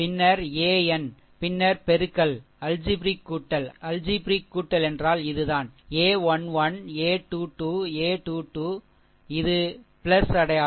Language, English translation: Tamil, Then your ah, then what you do that you go for your multiplication algebraic sum algebraic sum means this this one a 1 1, a 2 2, a 3 3, this is plus sign